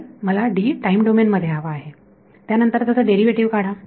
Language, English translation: Marathi, So, I need D in the time domain then into take a derivative